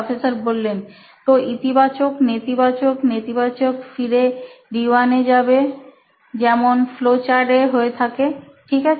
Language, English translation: Bengali, So positive, negative, negative goes back to D 1, so like a flow chart, ok fine